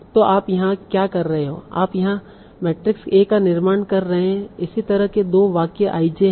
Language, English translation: Hindi, So you are constructing this matrix A, that is how similar to sentences IJ